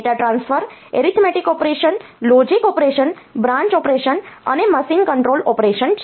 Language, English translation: Gujarati, Data transfer, arithmetic operation, logic operation, branch operation and machine control operation